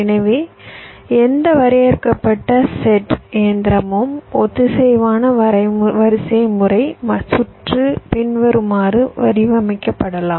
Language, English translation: Tamil, so any finite set machine that means ah synchronous sequential circuit can be modeled as follows